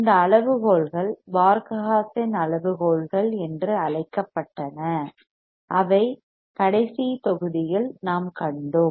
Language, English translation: Tamil, These criterias were called Barkhausen criteria which we have seen in the last module